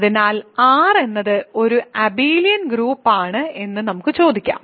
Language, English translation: Malayalam, So, we can ask is R an abelian group under addition